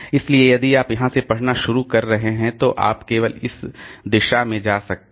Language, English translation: Hindi, So, if you are starting reading from here so you can go only in this direction